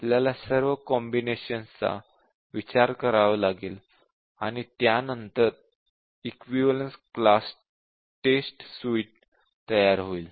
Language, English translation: Marathi, We have to consider combination of this and will have our equivalence class test suite ready